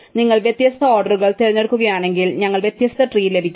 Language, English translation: Malayalam, Therefore, if you choose different orderings, then we get different trees